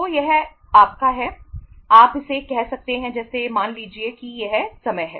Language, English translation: Hindi, So this is your uh you can call it as say this is the time